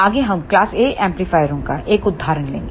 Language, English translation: Hindi, Next we will take an example of class A amplifiers